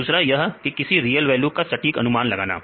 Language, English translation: Hindi, Another one is exactly predicting the real value